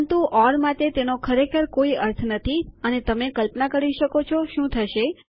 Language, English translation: Gujarati, But for the or that doesnt really makes sense and you can imagine what will happen